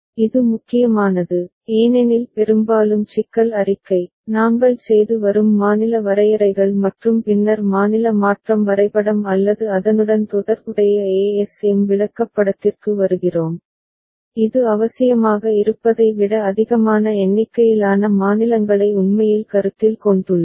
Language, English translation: Tamil, This is important because often from the problem statement, the state definitions that we are doing and then arriving at the state transition diagram or the corresponding ASM chart, it could be so that we have actually considered more number of states than necessary